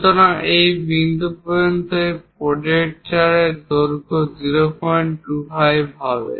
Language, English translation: Bengali, So, this point to that point, this projector length is 0